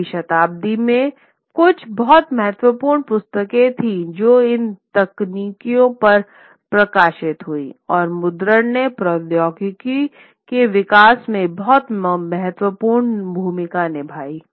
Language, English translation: Hindi, So, there were very some very important books which were published on these technologies in the 16th century